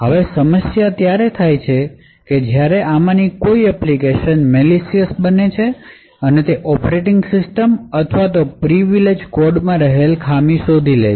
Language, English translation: Gujarati, Now problem occurs when one of these applications becomes malicious and finds a bug in the operation system or the privileged code and has compromised the operating system